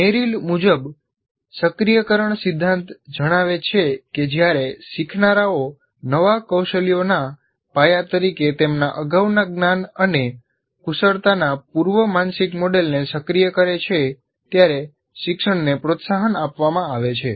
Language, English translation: Gujarati, The activation principle, as Merrill states that learning is promoted when learners activate a prior mental model of their prior knowledge and skill as foundation for new skills